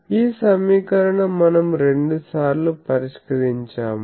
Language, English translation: Telugu, This equation we have solved, twice